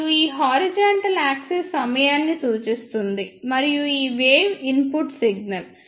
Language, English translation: Telugu, And this horizontal axis represent the time and this wave is input signal